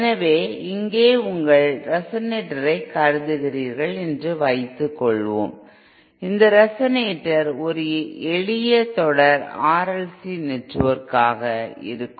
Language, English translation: Tamil, So here suppose you assume your resonator, this resonator to be a simple series R L C network